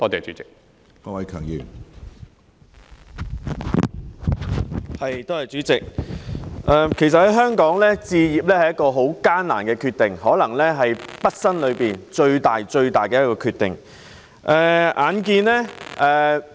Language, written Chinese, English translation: Cantonese, 主席，在香港置業其實是個很艱難的決定，更可能是畢生最大的決定。, President buying a flat in Hong Kong is actually a very tough decision which might even be the biggest one in a lifetime